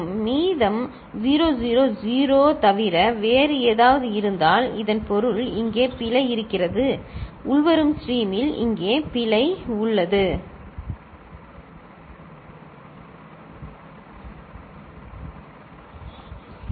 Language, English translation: Tamil, If the remainder is anything other than 0 0 0 ok, then that means there is error here, there is an error here in the incoming stream, ok